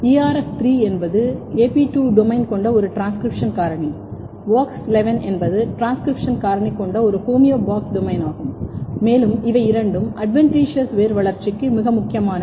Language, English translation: Tamil, ERF3 is an AP2 domain containing transcription factor, WOX11 is a homeobox domain containing transcription factor and both are very very important for adventitious root development